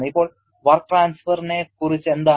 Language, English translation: Malayalam, Now, what about work transfer